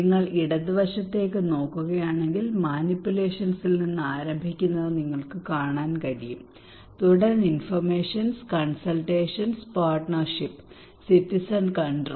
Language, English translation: Malayalam, If you look into the left hand side you can see there is starting from manipulations then informations, consultations, partnership, and citizen control